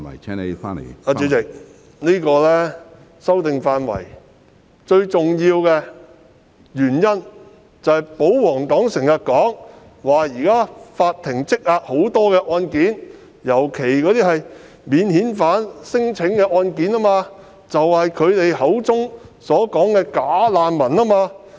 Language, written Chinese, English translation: Cantonese, 主席，作出是次法例修訂的最重要原因，是正如保皇黨經常指出，法庭現時積壓大量案件，尤其是免遣返聲請個案，亦即涉及他們口中所謂的"假難民"。, President the royalists often argue that the most important reason behind the introduction of the legislative amendments under discussion is the current huge backlog of court cases especially non - refoulement claims involving bogus refugees as they have called them